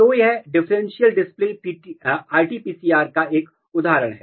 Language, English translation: Hindi, So, this is one example of differential display RT PCR